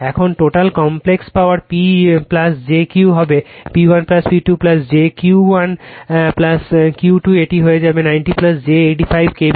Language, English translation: Bengali, Now, total complex power P plus j Q will be P 1 plus P 2 plus j Q 1 plus Q 2; it will become 90 plus j 85 KVA right